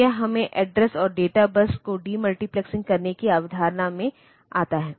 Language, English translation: Hindi, So, this brings us to the concept of demultiplexing the address and data bus